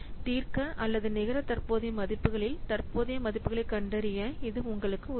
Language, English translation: Tamil, This will help you for solving or for finding out the present values and the next present values